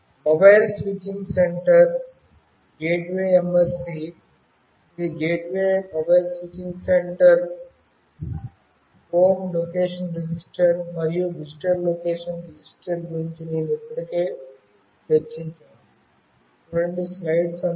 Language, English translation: Telugu, Mobile Switching Center, a gateway MSC that is Gateway Mobile Switching Center, Home Location Register, and Visitor Location Register, which I have already discussed